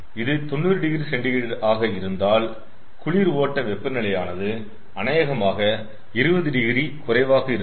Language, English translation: Tamil, so if it is ninety degree celsius, then cold side temperature will be probably twenty degree